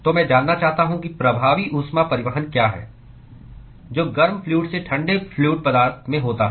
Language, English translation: Hindi, So, I want to know, what is the effective heat transport, that is occurred from the hot fluid to the cold fluid